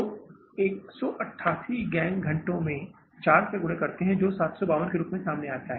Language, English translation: Hindi, So, 1808 gang hours into 4 that works out as 752